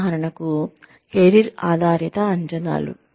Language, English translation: Telugu, For example, career oriented appraisals